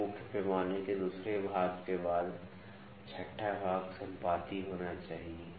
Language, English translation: Hindi, So, 6th division after the second division of the main scale has to coincide